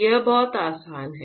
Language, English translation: Hindi, It is very easy right